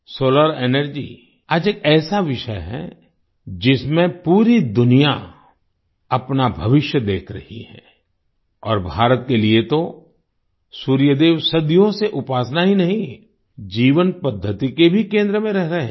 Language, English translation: Hindi, Solar Energy is a subject today, in which the whole world is looking at its future and for India, the Sun God has not only been worshiped for centuries, but has also been the focus of our way of life